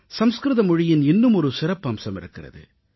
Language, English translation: Tamil, This has been the core speciality of Sanskrit